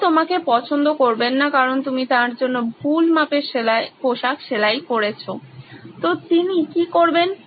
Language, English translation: Bengali, He is not going to like you because you have stitched bad fitting clothes for him